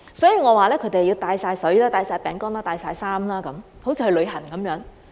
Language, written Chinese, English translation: Cantonese, 所以，我說他們要帶水、帶餅乾、帶衣服等，好像去旅行般。, Thus as I mentioned just now they have to bring a bottle of water biscuits clothes etc as if they are going on a trip